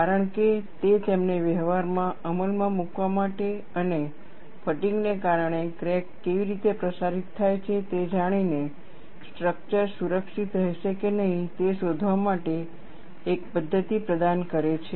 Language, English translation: Gujarati, Because, that provided a mechanism for them to implement in practice and find out, whether the structure would be safe or not, by knowing how the crack propagates, due to fatigue